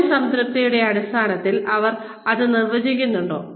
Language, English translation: Malayalam, Do they define it, in terms of job satisfaction